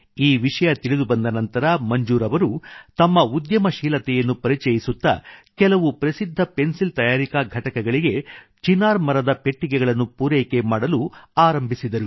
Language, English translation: Kannada, After getting this information, Manzoor bhai channeled his entrepreneurial spirit and started the supply of Poplar wooden boxes to some famous pencil manufacturing units